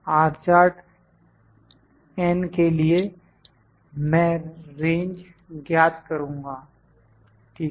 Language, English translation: Hindi, For R chart I will calculate the range, ok